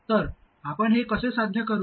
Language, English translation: Marathi, So how do we accomplish this